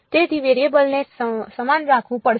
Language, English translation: Gujarati, So, the variable has to be held the same